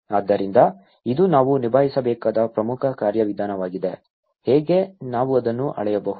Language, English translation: Kannada, So, this is an important mechanism we have to tackle, how to, we can scale it up